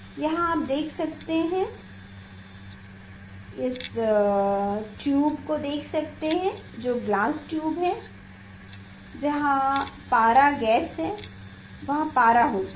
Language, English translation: Hindi, here you can see; you can see that tube that glass tube where that mercury gas is there mercury are there